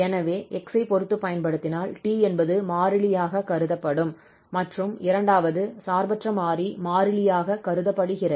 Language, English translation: Tamil, So when we apply with respect to x, the t will be treated as constant, the second independent variable will be treated as constant